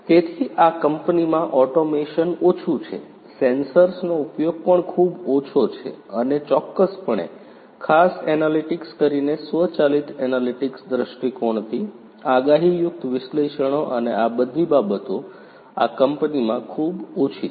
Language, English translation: Gujarati, So, automation is low in this company, the use of sensors is also very low, and definitely you know analytics particularly from an automated analytics point of view, predictive analytics and all of these things are pretty low in this company